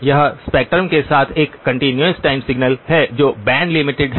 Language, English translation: Hindi, It is a continuous time signal with spectrum which is band limited